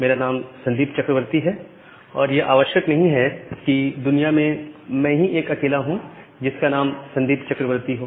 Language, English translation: Hindi, Say my name is Sandip Chakraborty, it is not necessary that in world I am the only person who are having the name Sandip Chakraborty